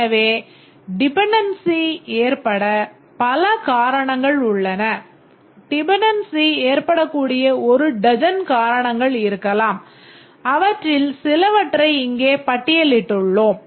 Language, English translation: Tamil, Maybe there are about a dozen reasons why dependency can arise and we have just listed few of them here